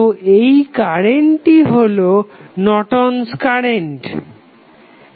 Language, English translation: Bengali, So, that circuit current would be nothing but the Norton's current